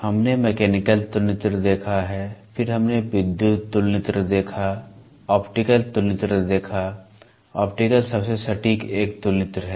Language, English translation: Hindi, We have seen Mechanical comparator, then we saw Electrical comparator, Optical comparator; Optical is the most accurate one Optical comparator